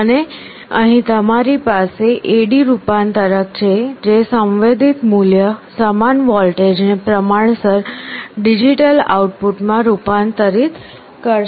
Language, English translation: Gujarati, And here you have the A/D converter which will be converting the voltage that is equivalent to the sensed value into a proportional digital output